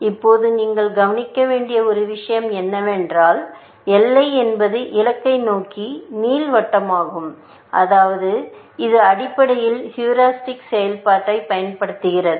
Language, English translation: Tamil, Now, one of the things that you should observe is, that is boundary is ellipse towards the goal and that is, because it is using the heuristic function, essentially